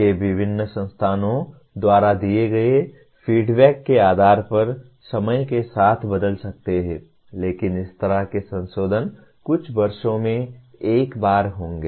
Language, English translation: Hindi, They may change with time based on the feedback given by various institutes but that kind of modifications will take place once in a few years